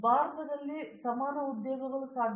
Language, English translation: Kannada, Today equivalent employments are possible in India